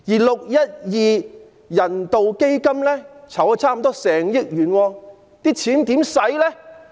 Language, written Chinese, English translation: Cantonese, 612人道支援基金籌集了近1億元。, The 612 Humanitarian Relief Fund has raised nearly 100 million